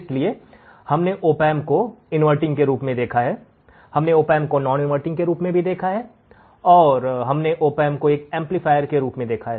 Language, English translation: Hindi, So, we have seen the opamp as an inverting, we have seen opamp as a non inverting, and we have seen opamp as a summing amplifier